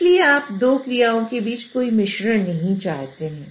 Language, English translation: Hindi, So, you do not want any mixing between the two actions